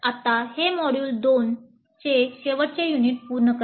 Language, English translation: Marathi, Now that completes the last unit of module 2